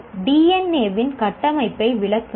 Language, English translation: Tamil, Explain the structure of DNA